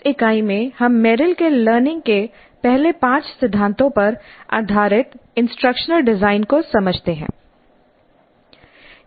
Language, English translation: Hindi, So in this unit we understand instruction design based on Merrill's five first principles of learning